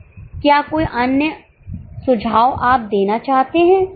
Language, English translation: Hindi, Any other suggestion will you want to make